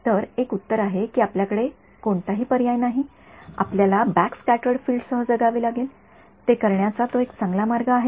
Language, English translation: Marathi, So, one answer is that you have no choice, you have to live with backscattered field; is that a better way of doing it